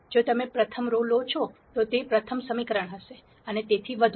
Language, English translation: Gujarati, If you take the first row, it will be the first equation and so on